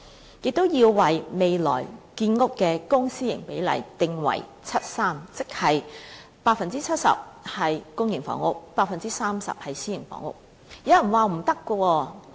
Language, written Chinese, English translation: Cantonese, 此外，訂定未來建屋的公、私營比例定為 7：3， 即是 70% 是公營房屋 ，30% 是私營房屋。, Furthermore the Government should set the ratio of public to private housing construction at 7col3 that is 70 % of the housing supply should be public housing units and 30 % should be private housing units